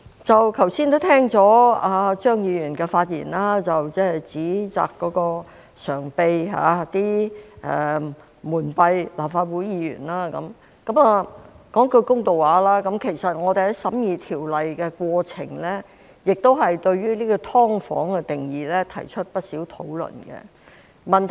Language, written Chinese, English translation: Cantonese, 剛才聽到張宇人議員的發言，他指責常秘蒙蔽立法會議員，說句公道話，其實我們在審議《條例草案》的過程中，亦對"劏房"的定義提出了不少討論。, Just now I heard Mr Tommy CHEUNGs speech in which he accused the Permanent Secretary of hoodwinking Members of the Legislative Council . To be fair in the course of scrutinizing the Bill we had a lot of discussions on the definition of subdivided units SDUs too